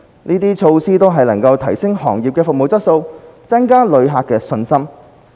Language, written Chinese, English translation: Cantonese, 這些措施都能提升行業的服務質素，增加旅客的信心。, These measures can step up the service quality of the sector and enhance visitor confidence